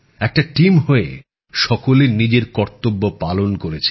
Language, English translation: Bengali, Everyone has done their duty as part of a team